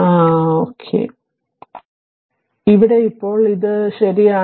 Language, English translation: Malayalam, So, here now this is this is come out right